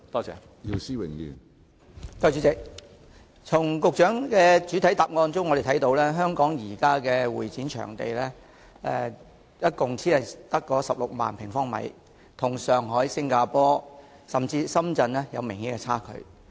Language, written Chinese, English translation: Cantonese, 主席，我們從局長的主體答覆中得知，香港現時的會展場地只有16萬平方米，與上海、新加坡甚至深圳比較有明顯的差距。, President we learnt from the Secretarys reply that currently the area of CE venues in Hong Kong is only 160 000 sq m which presents an obvious disadvantage compared to Shanghai Singapore and even Shenzhen